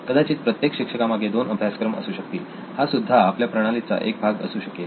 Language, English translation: Marathi, Maybe there is two courses per teacher, so that could also be part of your system